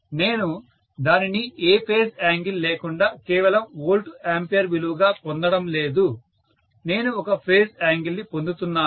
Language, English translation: Telugu, So, I am getting this in P plus JQ format I am not getting it as just a volt ampere value without any phase angle, I am getting a phase angle